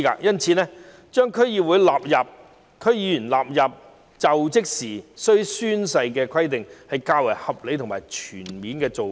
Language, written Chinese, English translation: Cantonese, 因此，規定區議員須在就職時宣誓，是較為合理和全面的做法。, Therefore it is more reasonable and comprehensive to require DC members to take an oath when assuming office